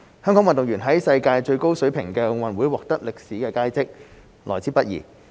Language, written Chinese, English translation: Cantonese, 香港運動員在世界最高水平的奧運獲得歷史佳績，來之不易。, Hong Kong athletes achieving historic success in the worlds highest - level Olympic Games is hard to come by